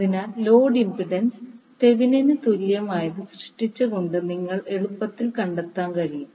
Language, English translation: Malayalam, So, this you can see that the load impedance, you can easily find out by creating the Thevenin equivalent